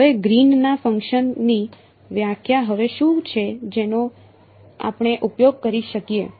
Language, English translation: Gujarati, So now, what is the definition of Green’s function now that we will that we can use